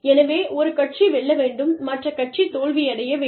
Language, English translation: Tamil, So, one party will have to win, and the other party will have to lose